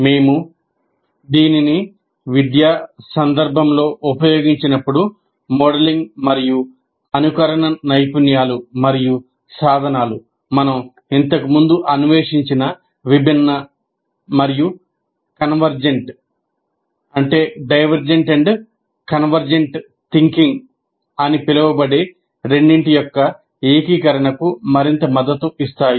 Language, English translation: Telugu, When we use it in educational context, modeling and simulation skills and tools can further support the integration of both what you call divergent and convergent thinking, which you have explored earlier